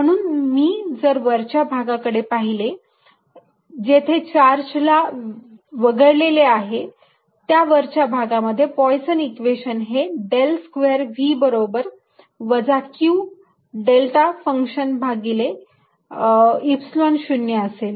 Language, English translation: Marathi, therefore, if i look in the in the upper region, which excludes [C28], this [C29]charge, then poisson's equation in the upper region is: del square v is equal to minus q, appropriate delta function over epsilon zero